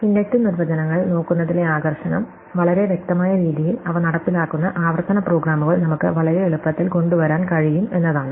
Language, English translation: Malayalam, And the attraction of looking at inductive definitions is that, we can very easily come up with recursive programs that implement them in a very obvious way